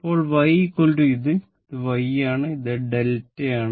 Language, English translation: Malayalam, Now, y is equal to this is my y and this is my delta